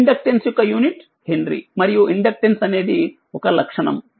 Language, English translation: Telugu, The unit of inductance is Henry and inductance is the property right